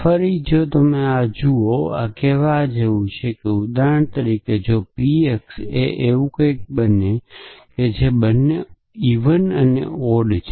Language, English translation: Gujarati, So, again if you look at this; this is like saying that for example, if p x stood for something which is both even and odd